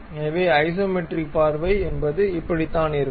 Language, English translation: Tamil, So, this is the way isometric view really looks like